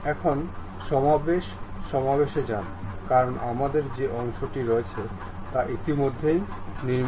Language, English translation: Bengali, Now, go for assembly, because parts we have already constructed